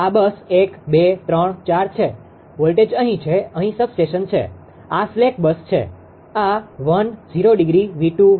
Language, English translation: Gujarati, This is bus 1, bus 2, bus 3, bus 4; voltage is here substation; this is slag bus; this is 1 angle 0; v2, v3, v4